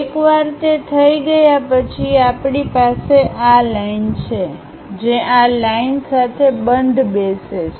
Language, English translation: Gujarati, Once that is done we have this line, which is matching with this line